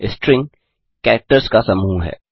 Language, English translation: Hindi, String is a collection of characters